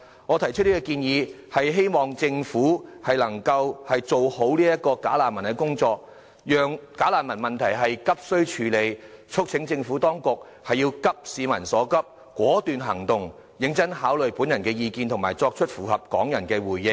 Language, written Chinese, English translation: Cantonese, 我提出這項建議，是希望政府能夠做好處理"假難民"的工作，急須處理"假難民"問題，促請政府當局急市民所急，果斷行動，認真考慮我的意見和作出符合港人的回應。, I put forward this proposal in the hope that the Government can deal with the work concerning bogus refugees properly and quickly resolve the problem of bogus refugees . I also urge the Administration to take drastic and quick action to address the concerns of the people consider my views seriously and make responses which are in line with the needs of Hong Kong people